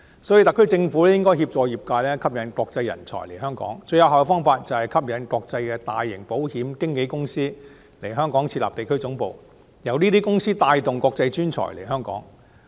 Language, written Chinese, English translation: Cantonese, 所以，特區政府應該協助業界，吸引國際人才來港，最有效的方法就是吸引國際大型保險經紀公司來港設立地區總部，由這些公司帶動國際專才來港。, For this reason the SAR Government should assist the sector in attracting international talents to come to Hong Kong . The most effective way is to attract large international insurance brokerage firms to establish regional headquarters in Hong Kong and these firms will bring international professionals here